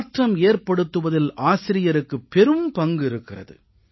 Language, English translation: Tamil, The teacher plays a vital role in transformation